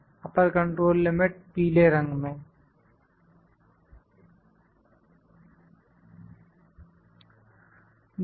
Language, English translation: Hindi, Upper control limit is in the yellow colour